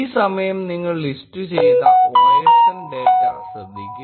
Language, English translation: Malayalam, This time you will note osndata listed